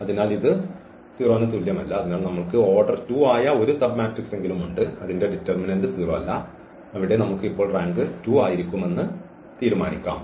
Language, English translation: Malayalam, So, we have a submatrix whose determinant the submatrix of order 2 whose determinant is not 0 and there we can decide now the rank has to be 2